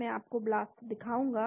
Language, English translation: Hindi, I will show you the BLAST